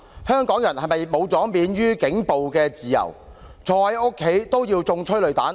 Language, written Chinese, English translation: Cantonese, 香港人是否喪失了免於警暴的自由，坐在家中也要挨催淚彈？, Have Hong Kong people been stripped of their freedom to lead a life free from police brutality? . Are they in danger of tear gas assault even at home?